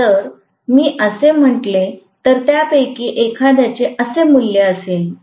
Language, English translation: Marathi, So, if I say that one of them is having a value like this